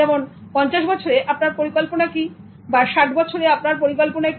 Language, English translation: Bengali, So plan at the age of 50 or at the age of 60, what are you going to do